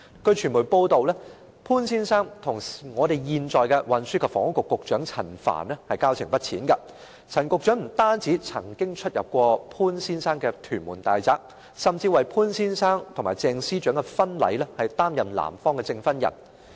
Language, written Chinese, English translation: Cantonese, 據傳媒報道，潘先生與現任運輸及房屋局局長陳帆交情不淺，陳局長不單曾經出入潘先生的屯門大宅，甚至為潘先生和鄭司長的婚禮擔任男方的證婚人。, According to media reports Mr POON maintains friendly relations with the incumbent Secretary for Transport and Housing Frank CHAN . Not only did Secretary Frank CHAN visit Mr POON at his Tuen Mun villa but he was also the grooms witness at the wedding ceremony of Mr POON and Ms CHENG